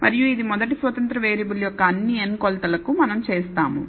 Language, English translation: Telugu, And we do this for all n measurements of the first independent variable